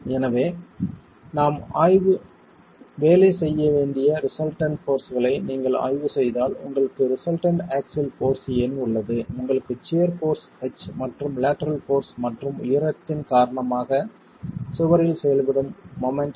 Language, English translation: Tamil, So if you were to examine the resultant forces that we need to be working on, you have a resultant axial force in, you have a resultant shear force H and the moment which is acting on the wall because of the lateral force and the height of the wall H